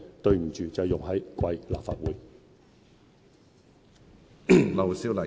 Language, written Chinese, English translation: Cantonese, 對不起，就是用在貴立法會。, Sorry such time has been spent here in this Legislative Council